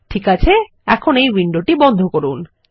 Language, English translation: Bengali, Okay, we will close this window now